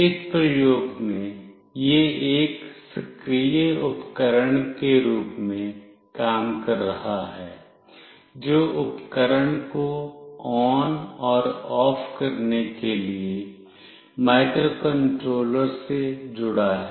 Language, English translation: Hindi, In this experiment it is acting as a actuated device, which is connected to microcontroller to turn ON and OFF the appliance